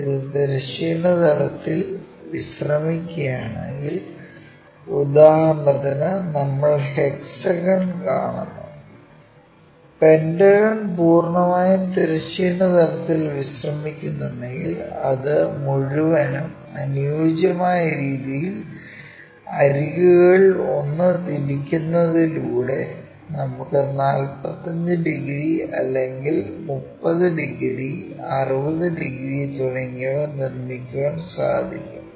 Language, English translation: Malayalam, If it is resting on the horizontal plane we see the hexagon completely for example,ah pentagon completely if the pentagon is completely resting on the horizontal plane we see that entire shape, by rotating it suitably one of the edge we can make it like 45 degrees or 30 degrees, 60 degrees and so on